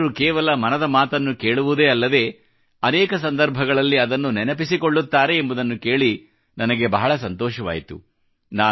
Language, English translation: Kannada, I was very happy to hear that people not only listen to 'Mann KI Baat' but also remember it on many occasions